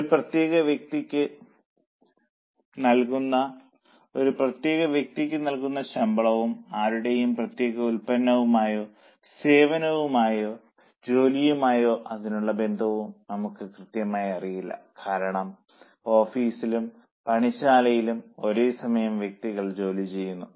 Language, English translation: Malayalam, Now we exactly don't know the salary paid to a particular person and its linkage to any one particular product or a service job because different work is being done simultaneously in our office or in the workshop